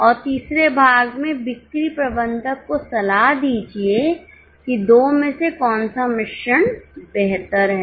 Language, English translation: Hindi, And in the third part, advise the sales manager as to which of the two mixes are better